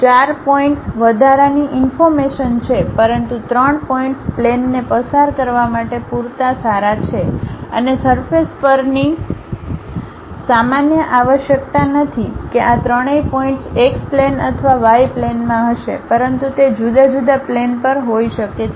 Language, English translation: Gujarati, Four points is additional information, but three points is good enough to pass a plane and the normal to the surface is not necessary that all these three points will be on x plane or y plane, but it can be on different planes